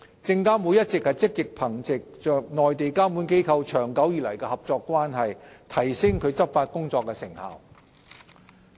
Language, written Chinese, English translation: Cantonese, 證監會一直積極憑藉與內地監管機構長久以來的合作關係，提升其執法工作的成效。, SFC has been actively building on its long - term relationship with Mainland regulators to increase the effectiveness of its enforcement work